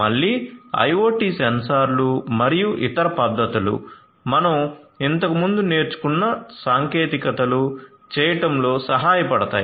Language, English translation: Telugu, So, again our IoT sensors and other techniques technologies that we have learnt previously could help us in doing